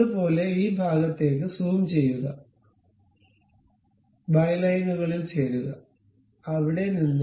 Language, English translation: Malayalam, Similarly, zoom into this portion, join by lines, there to there